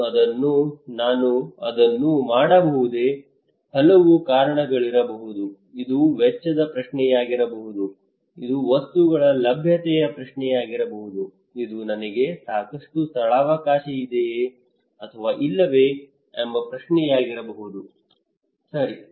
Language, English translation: Kannada, Can I do it, it could be many reasons can I do it could be many reasons this could be question of cost, it could be question of that availability of the materials, it could be kind of question of like I have enough space or not right